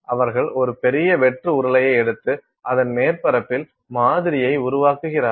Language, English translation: Tamil, So, they take a large hollow cylinder and on the surface of this they make the sample